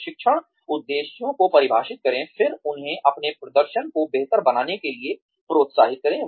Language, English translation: Hindi, Define the training objectives, then encourage them to improve their performance